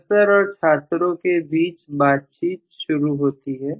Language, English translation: Hindi, Conversation between professor and students starts